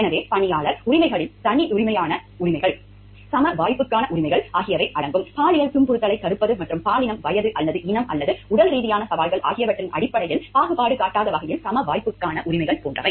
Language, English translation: Tamil, So, employee rights include rights to privacy, rights to equal opportunity; like prevention of sexual harassment and rights to equal opportunity in terms of non discrimination based on gender, age or race or physical challenges also